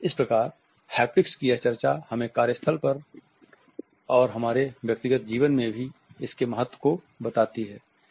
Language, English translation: Hindi, So, this discussion of haptics tells us of it is significance in the workplace, in our personal life also